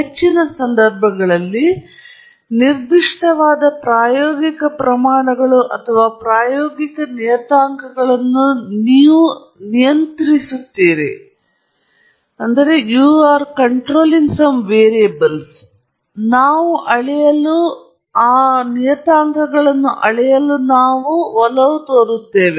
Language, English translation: Kannada, In most cases, there are specific experimental quantities or experimental parameters that we tend to control or we tend to measure